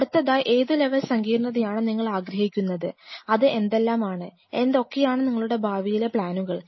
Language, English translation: Malayalam, What level of sophistication you want to achieve and what are the, what are your plans for expansion